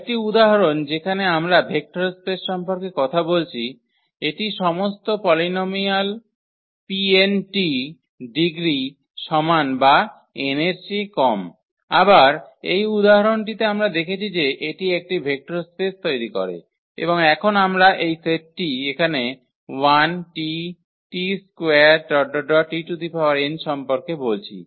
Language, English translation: Bengali, Another example where we are talking about the vector space this P n of all polynomials of degree less than equal to n; again this example we have seen that this form a vector space and now we are talking about this set here 1 t t square and so on t n